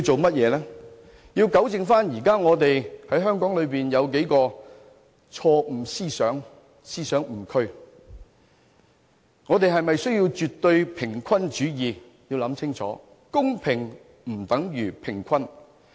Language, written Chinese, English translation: Cantonese, 便是糾正香港現時數個錯誤思想或思想誤區，我們是否需要絕對平衡主義，實在需要考慮清楚，公平不等於平衡。, Well to rectify the prevailing misconceptions or areas of misconceptions in Hong Kong is what we ought to do . We really must consider meticulously if absolute egalitarianism is really what we need since fairness is not equivalent to egalitarianism